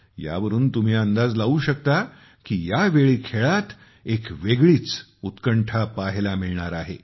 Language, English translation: Marathi, From this, you can make out that this time we will see a different level of excitement in sports